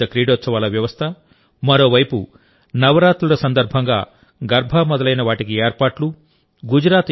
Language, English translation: Telugu, Such elaborate arrangement and on the other hand, arrangements for Navratri Garba etc